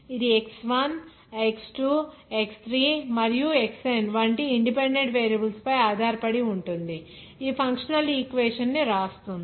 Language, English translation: Telugu, That depends upon independent variables like X1 X2 X3 and Xn then writes the functional equation